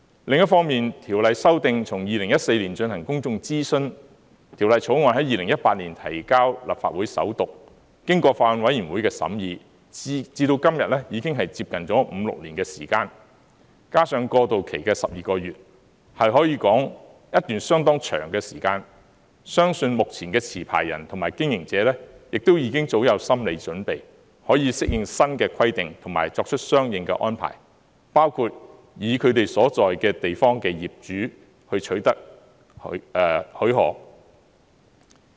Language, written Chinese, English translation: Cantonese, 另一方面，《條例》修訂從2014年進行公眾諮詢，《條例草案》在2018年提交立法會首讀，經過法案委員會的審議至今，已經接近五六年，加上過渡期的12個月，可說是一段相當長的時間，相信目前的持牌人及經營者，亦已經早有心理準備，可以適應新的規定及作出相應安排，包括從他們所在的地方的業主方面取得許可。, The Bill was read the First time in the Legislative Council in 2018 from that time onward till now; it has been 5 to 6 years after the deliberations of the Bills Committee . In addition to the 12 - month transitional period it can be said that it has gone through a rather long time . Therefore I believe that the existing licensees and operators are all mentally prepared to adapt themselves to the new requirements and to make corresponding arrangement including obtaining permission from the owners of the building concerned